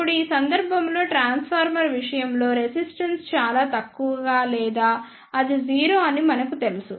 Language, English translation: Telugu, Now, in this case we know that in case of transformer the resistance is very low or its 0